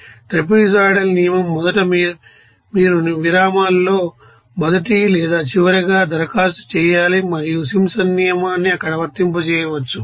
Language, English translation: Telugu, So, the trapezoidal rule first you have to apply over the first or last in intervals and for the race to Simpsons rule can be applied there